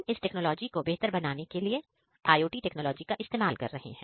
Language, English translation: Hindi, So, we are using IoT technologies to improve this technologies by